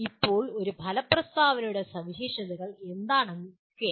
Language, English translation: Malayalam, And now what are the features of an outcome statement